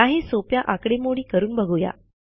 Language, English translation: Marathi, Let us try some simple calculation